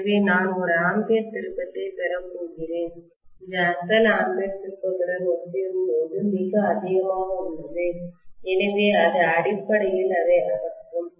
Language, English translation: Tamil, So I am going to have an ampere turn which is way too high as compared to the original ampere turn, so it will essentially kill that